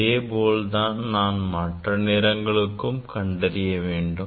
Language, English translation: Tamil, Then, similarly I have to find out for the other color